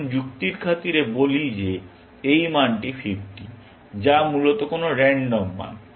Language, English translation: Bengali, Let us, for argument sake, say that this value is 50, some random value, essentially